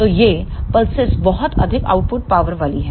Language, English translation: Hindi, So, these pulses are of very high output power